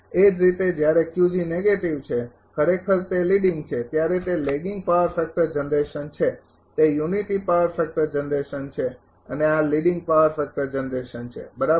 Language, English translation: Gujarati, Similarly, when Q g negative it is actually leading it is lagging power factor generation it is unity power factor generation and this is leading power factor generation right